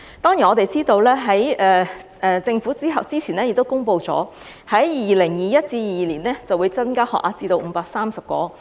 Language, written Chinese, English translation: Cantonese, 當然，我們知道政府早前已公布，在 2021-2022 年度會增加醫科學額至530個。, Of course we know that the Government has announced earlier that the number of medical school places will be increased to 530 in 2021 - 2022